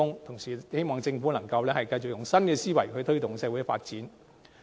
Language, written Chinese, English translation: Cantonese, 同時，希望政府能繼續以新思維來推動社會發展。, And I also hope that the Government can continue to promote social development with a new mindset